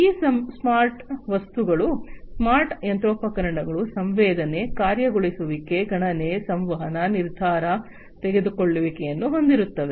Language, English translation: Kannada, So, these smart objects, the smart things, the smart machinery will be touched with sensing, actuation, computation, communication, decision making and so on